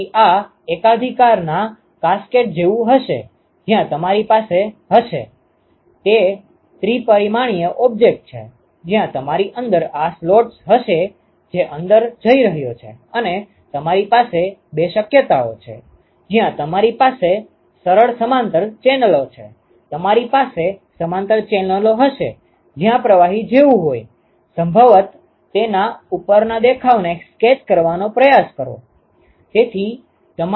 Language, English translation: Gujarati, So, this will be like a cascade of monolith, where you will have you will; it is a three dimensional object, where you will have these slots which is going inside and you can have two possibilities; where you have simple parallel channels; you will have parallel channels ok, where the fluid is like probably just try to sketch a top view of that